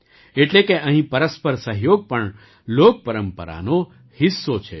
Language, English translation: Gujarati, That is, mutual cooperation here is also a part of folk tradition